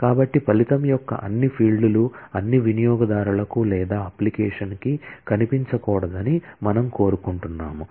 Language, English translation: Telugu, So, we may not want all fields of a result to be visible to all the users or to the application